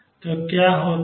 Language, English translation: Hindi, So, what is going on